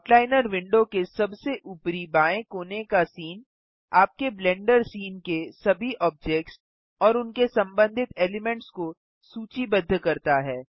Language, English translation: Hindi, Scene at the top left corner of the outliner window, lists all the objects in your Blender scene and their associated elements